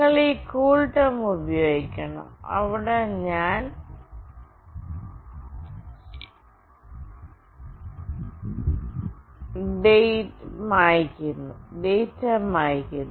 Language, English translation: Malayalam, You have to use this CoolTerm; where I am clearing the data